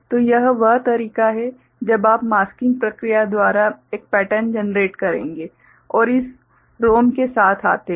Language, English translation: Hindi, So, this is the way when you will generate a pattern right by masking process right and come up with this ROM right